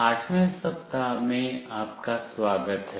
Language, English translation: Hindi, Welcome to week 8